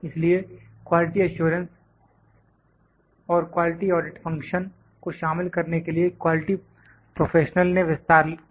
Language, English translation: Hindi, So, quality professional expanded to include quality assurance and quality audit functions